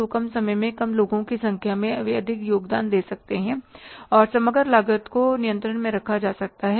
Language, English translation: Hindi, So lesser number of people in the lesser amount of time, they can contribute much and the overall cost can be kept under control